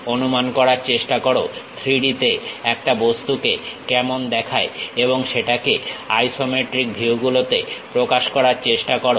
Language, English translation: Bengali, Try to imagine how an object really looks like in 3D and try to represent that in isometric views